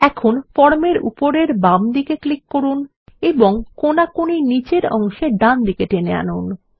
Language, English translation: Bengali, Now, let us click on the top left of the form and drag it diagonally to the bottom right